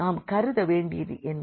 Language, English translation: Tamil, So, what do we consider